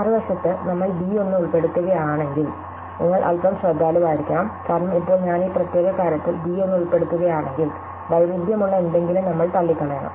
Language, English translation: Malayalam, On the other hand, if we include b 1, then you have to be a little bit careful, because now if I include b 1 in this particular thing, so if we include b 1, then we have to rule out something which is in conflict